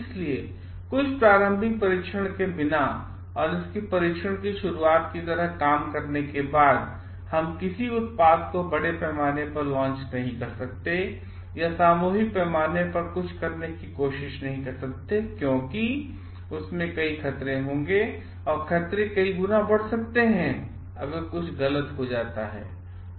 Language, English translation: Hindi, So, without testing something preliminary and doing a like pilot ram of it, we cannot launch a product in a mass scale or try to do something in a mass scale because, in that case the hazards will be, because in that case the hazards will be multiplied manifold if something wrong happens